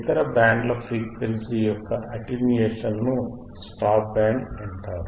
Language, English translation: Telugu, we already know and aAttenuatedion of the other bands of the frequency is called the stop band